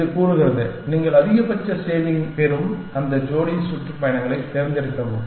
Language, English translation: Tamil, It says, select that pair of tours in which you get the maximum savings